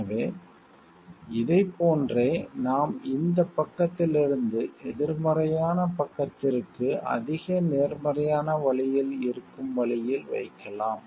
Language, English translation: Tamil, So, this we can see like these we can place in the like in increasing order from this side to a negative side to the way towards which is in a more positive way